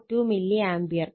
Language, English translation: Malayalam, 44 degree Ampere